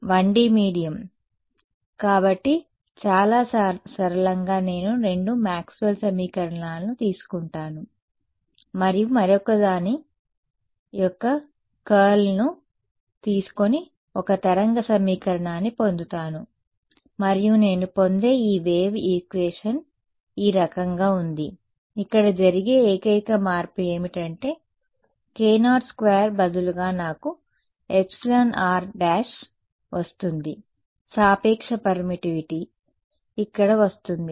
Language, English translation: Telugu, So, 1D medium so, very simply I will take the two Maxwell’s equations take curl of the other and get a wave equation and this wave equation that I get is off this kind over here the only change that happens is that instead of k naught squared I get an epsilon r prime whatever was the relative permittivity over there comes in over here ok